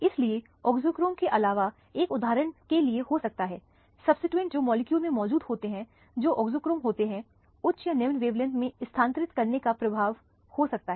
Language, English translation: Hindi, So, in addition to auxochrome one can have for example, substituents which are present in the molecule which are the auxochromes can have the effect of shifting the wavelength to higher or lower wavelength